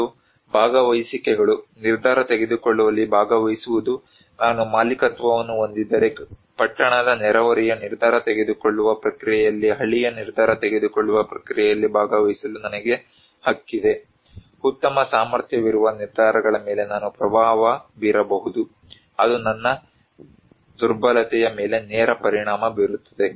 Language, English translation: Kannada, And participations; participation in decision making, if I have the ownership, I have the right to participate in the village decision making process in the town neighborhood decision making process, I can influence the decisions that is a great capacity, it has a direct impact on my vulnerability